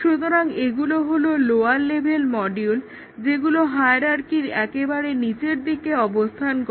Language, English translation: Bengali, So, these are the lower level modules which are at the bottom of the hierarchy